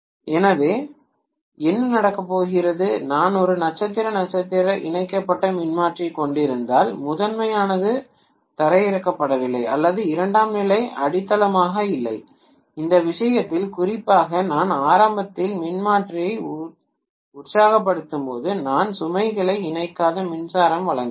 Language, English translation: Tamil, So what is going to happen is if I am having a star star connected transformer, neither the primary is grounded, nor the secondary is grounded, in which case especially when I am initially energizing the transformer I just turn on the power supply I have not connected the load